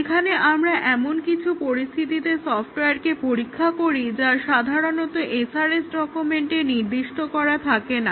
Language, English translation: Bengali, So, here we test the software with situations that are not normally specified in the SRS document